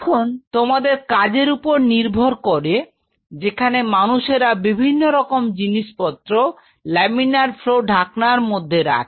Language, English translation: Bengali, Now, depending on the work you will be performing there are people who keep different kind of a stuff inside the laminar flow hood